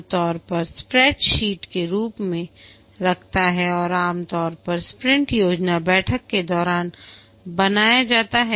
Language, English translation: Hindi, It typically maintains it in the form of a spread set and usually created during the sprint planning meeting